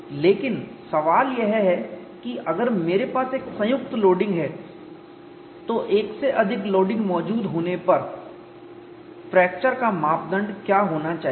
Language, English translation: Hindi, But the question is, if I have a combine loading what should be the criterion for fracture when more than one mode of loading is present